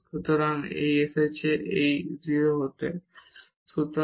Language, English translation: Bengali, So, this is come this is to be 0